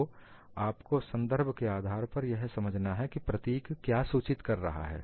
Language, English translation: Hindi, So, you will have to understand based on the context, what does the symbol indicates